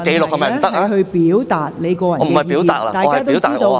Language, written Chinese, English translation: Cantonese, 我不是表達意見，我要留下紀錄。, That is not personal opinion; I wish to put on record